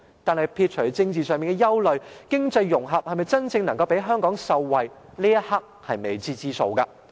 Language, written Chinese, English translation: Cantonese, 但是，撇除政治上的憂慮，經濟融合能否真正讓香港受惠，這一刻仍是未知之數。, However leaving political worries aside at this moment we are still uncertain whether economic integration can really benefit Hong Kong